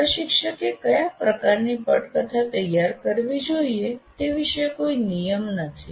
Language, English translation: Gujarati, So, one is not legislating what kind of script the instructor should prepare